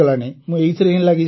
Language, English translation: Odia, I am still at it